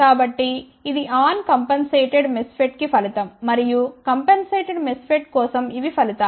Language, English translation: Telugu, So, this is the result for uncompensated MESFET and these are the results for compensated MESFET